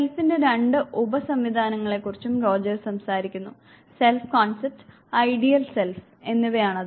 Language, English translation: Malayalam, Roger s also talks about now, two sub systems of the self the self concept and the ideal self